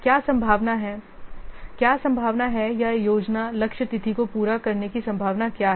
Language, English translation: Hindi, What is the probability or what is the likelihood of meeting the plan target date